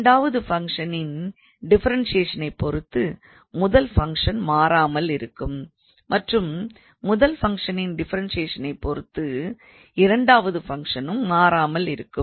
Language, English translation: Tamil, So, the first function would remain unchanged the differentiation of the second function and then second function would remain unchanged and the differentiation of the first function